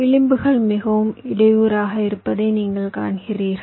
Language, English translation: Tamil, you see that the edges are quite haphazard and so on